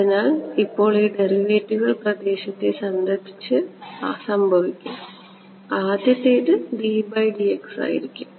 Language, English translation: Malayalam, So, the first so the derivatives now will happen with respect to space first 1D by dx